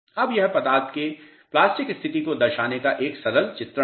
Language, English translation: Hindi, Now, this is a simple depiction of plastic state of material